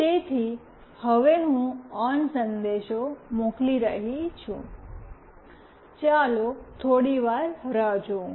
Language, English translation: Gujarati, So, now I am sending ON message, let us wait for some time nothing happened right